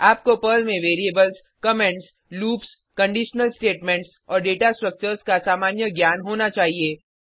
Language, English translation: Hindi, You should have basic knowledge of variables, comments, loops, conditional statements and Data Structures in Perl